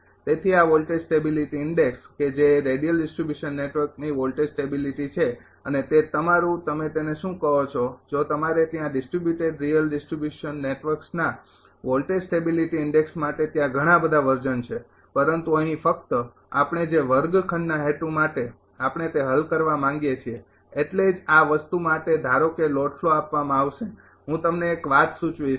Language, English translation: Gujarati, So, this voltage stability index that is voltage stability of radial distribution network and whether it is for a your what you call ah if you there are many many other versions are there for voltage stability index right of distributed real distribution networks, but here only as per the classroom purpose we want to solve that is why for this thing suppose a load flow will be given ah I I will suggest one thing to you